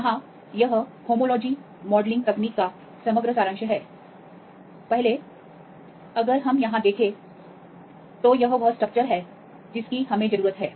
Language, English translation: Hindi, Here this is the overall summary of the homology modelling technique; first one, if we see here this is the structure we need